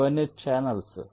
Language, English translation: Telugu, these are all channels